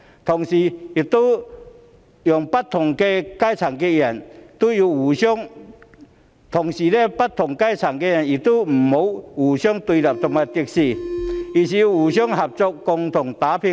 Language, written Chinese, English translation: Cantonese, 同時，不同階層的人亦不要互相對立和敵視，而是要互相合作，共同打拼。, At the same time people of different social strata should not be antagonistic and hostile to each other they should cooperate and work together